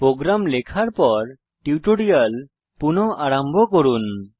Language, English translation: Bengali, Resume the tutorial after typing the program